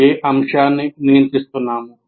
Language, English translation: Telugu, What aspect are we regulating